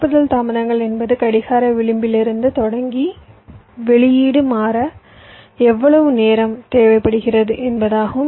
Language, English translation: Tamil, propagation delays means staring from the clock edge: how much time is required for the output to change